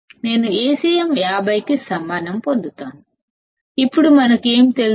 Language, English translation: Telugu, We will get Acm equals to 50; now what do we know